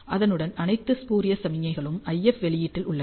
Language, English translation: Tamil, Along with that you have all the spurious signals which are present in the IF output